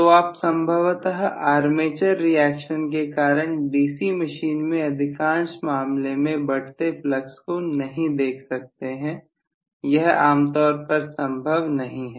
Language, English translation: Hindi, So you are not going to be possibly looking at increasing flux in most of the cases in a DC machine due to armature reaction that is generally not possible